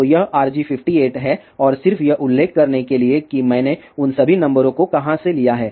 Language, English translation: Hindi, So, this is RG58 and just to mention from where I took all those numbers